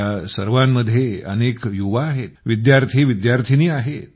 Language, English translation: Marathi, In that, there are many young people; students as well